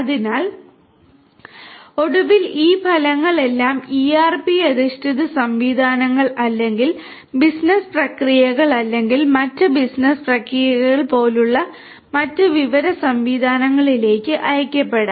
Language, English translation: Malayalam, So, finally, these results are going to be all sent to either different other information systems like ERP based systems or business processes other business processes it could be sent or to different people